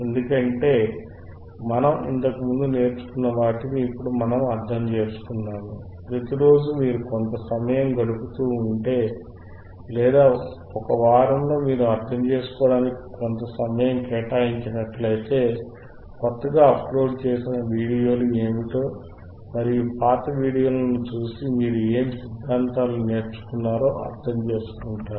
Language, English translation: Telugu, So, if you are everyday you just spend some time, and or in a week if you spend some time apart fromfor the understanding what are the new uploaded videos are, if you go back and see the old videos, you will understand what kind of theories you have learnt